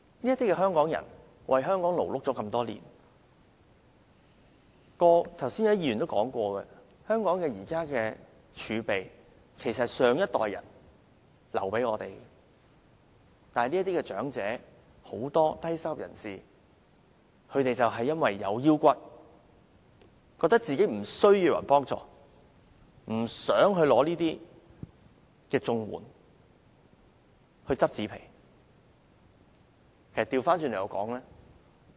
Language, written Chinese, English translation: Cantonese, "這些香港人為香港勞碌多年，剛才也有議員說過，香港現時的儲備其實是上一代人留給我們的，但是，很多長者和低收入人士因為有骨氣，覺得自己無須別人幫助，不想領取綜援而去撿紙皮為生。, These people have worked hard for Hong Kong for years . As a Member has just said our reserves were left to us by the previous generation . However for dignity reasons many elderly people and low - income earners feel that they do not need any help and choose collecting cardboards for a living instead of applying for CSSA